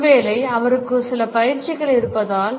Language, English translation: Tamil, Perhaps because he is has some training